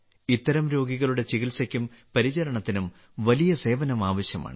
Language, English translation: Malayalam, The treatment and care of such patients require great sense of service